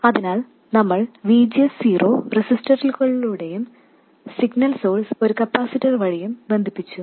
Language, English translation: Malayalam, So, we connected VGS 0 through some resistor and the signal source through a capacitor